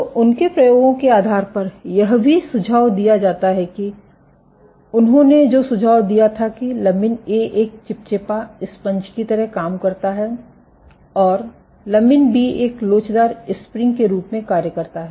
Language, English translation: Hindi, So, what it is also suggested so based on their experiments they suggested that lamin A acts like a viscous damper, and lamin B acts as a elastic spring